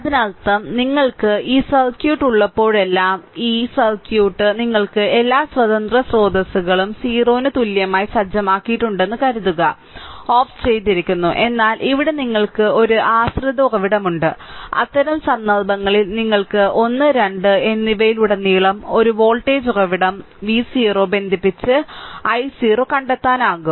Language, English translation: Malayalam, So; that means whenever you have this circuit; suppose this circuit you have all the independent sources are set equal to 0 is turned off, but here you have a dependent source right, in that case you can connect a voltage source V 0 across 1 and 2 and find out your i 0